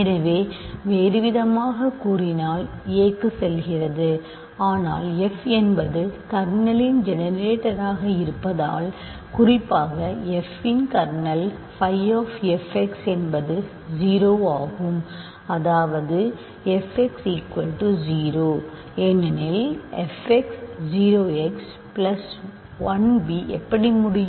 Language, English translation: Tamil, So, there is, in other words, a goes to a, but because f is the generator of the kernel in particular f is in the, f is generator of kernel and in particular f is in the kernel phi of, f x 0; that means, a is 0; that means, f x = 0, but now this is a problem right because f x 0 how can x plus 1 b